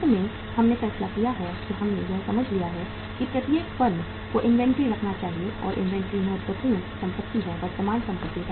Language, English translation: Hindi, Finally we have decided we have understood it every firm is supposed to keep the inventory and inventory is the important current asset